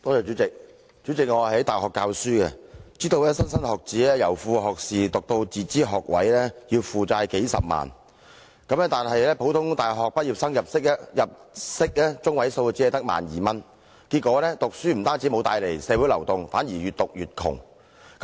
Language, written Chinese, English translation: Cantonese, 主席，我在大學教書，知道莘莘學子由副學士學位升讀自資學位，要負債數十萬元，但普通大學畢業生的入息中位數只有 12,000 元，結果讀書不但無法令他們向上流動，反而越讀越窮。, President I teach at a university and understand that many students are burdened with debts of hundreds of thousand dollars for pursuing self - financing degree programmes after completing sub - degree programmes . Yet the median income of average university graduates is only 12,000 . It turns out that education fails to help them move up the social ladder but impoverish them more